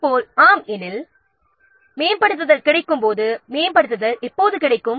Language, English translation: Tamil, Similarly, when will the upgrade be available